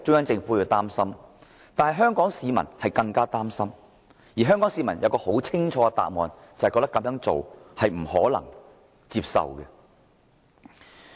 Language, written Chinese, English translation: Cantonese, 但是，香港市民更為擔心，因為香港市民很清楚，中聯辦這做法是不可接受的。, But Hong Kong people are even more worried because they are clearly aware that the practice of LOCPG is unacceptable